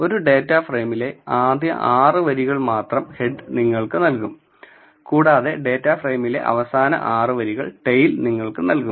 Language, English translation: Malayalam, So, head will give you the first 6 rows from a data frame and tail will give you the last 6 rows from the data frame